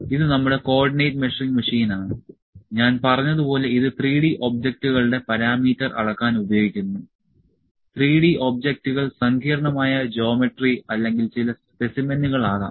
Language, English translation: Malayalam, So, this is our Co ordinate Measuring Machine as I said this is used to measure the parameter of 3D objects, the 3D objects maybe complex geometry or maybe some specimen